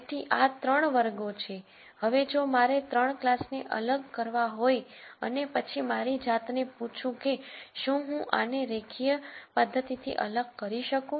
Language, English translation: Gujarati, Now if I want to separate these 3 classes and then ask myself if I can separate this to through linear methods